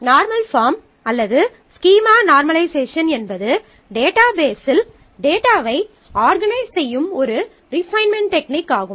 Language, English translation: Tamil, So, normal forms or normalization of a schema is a technique of refinement to organize the data in the database